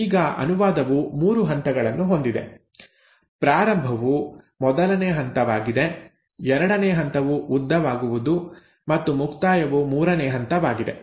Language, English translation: Kannada, Now translation has 3 stages; the first stage is initiation, the second stage is elongation and the third stage is termination